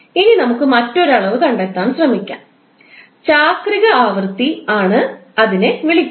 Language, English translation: Malayalam, Now let's try to find out another quantity which is called cyclic frequency